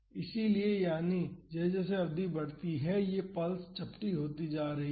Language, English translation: Hindi, So; that means, as the duration increases this pulse is getting flatter